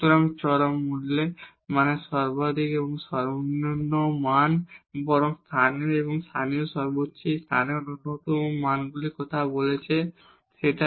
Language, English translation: Bengali, So, extreme value means the maximum and the minimum value or rather the local we are talking about local maximum and local minimum values of it at this point p